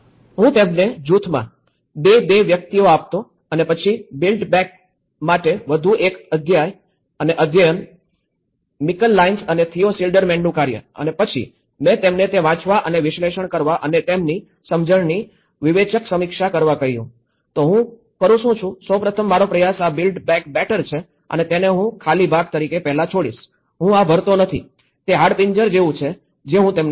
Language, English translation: Gujarati, There is another concept, which I have used for teaching build back better is; I used to give them 2, 2 people in a group and then one chapter for the build back better, Michal Lyons and Theo Schildermanís work and then I asked them to read and analyse and make a critical review of their understanding, so then what I do is; I try to first this is a build back better and I leave this as an empty part first, I do not fill this so, this is the skeleton I give them